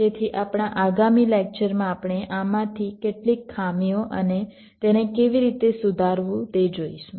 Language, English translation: Gujarati, so in our next lecture we shall be looking at some of these draw backs and how to rectify them